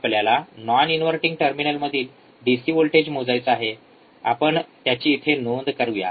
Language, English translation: Marathi, Now we have measured the voltage as non inverting terminal, we have measured the voltage at inverting terminal